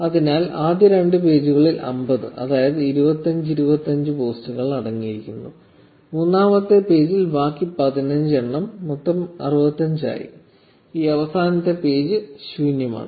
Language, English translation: Malayalam, So, the first two pages contained 25, 25 posts that is 50, and the third page contained the remaining fifteen total into 65, and this last page is empty